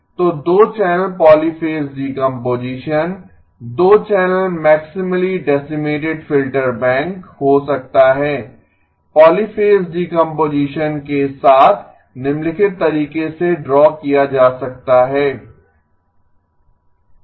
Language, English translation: Hindi, So the 2 channel polyphase decomposition can be to 2 channel maximally decimated filter bank with polyphase decomposition can be drawn in the following manner, E0 of z squared E0 of z squared z inverse E1 of z squared